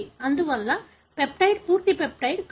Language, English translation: Telugu, Therefore, the peptide is no longer a full peptide